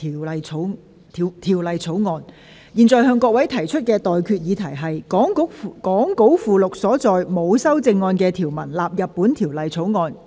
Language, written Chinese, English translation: Cantonese, 我現在向各位提出的待決議題是：講稿附錄所載沒有修正案的條文納入本條例草案。, I now put the question to you and that is That the clauses with no amendment set out in the Appendix to the Script stand part of the Bill